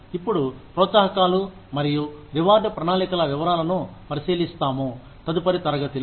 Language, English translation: Telugu, Now, we will look at, the detail of these incentives and reward plans, in the next class